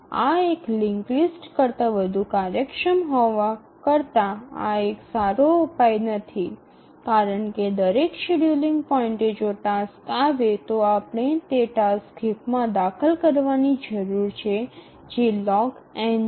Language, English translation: Gujarati, But you can see that this is a better solution than a linked list, more efficient, but then still it is not good enough because at each scheduling point we need to, if a task arrives, we need to insert the task in the heap which is log n